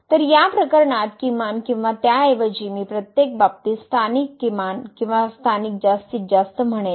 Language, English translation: Marathi, So, in this case the minimum or rather I would say the local minimum in each case or local maximum